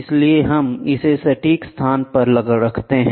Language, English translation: Hindi, So, we place it at the exact location